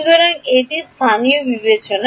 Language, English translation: Bengali, So, this is in terms of local